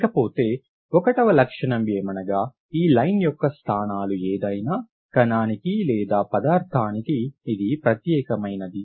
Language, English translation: Telugu, So property number one is line positions unique to any given compound